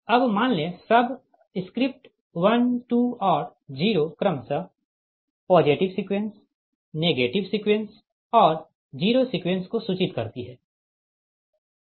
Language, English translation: Hindi, will assume now the subscript: one, two and zero refer to positive sequence, negative sequence and zero sequence respectively